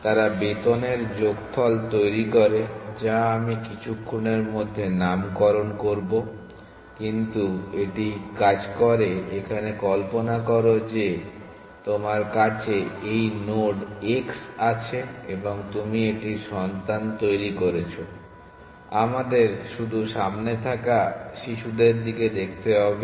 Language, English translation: Bengali, They devise the salary sum which I will name in a little while, but it work has follows that imagine that you have this node x and you generate its children; let us only look at the forward children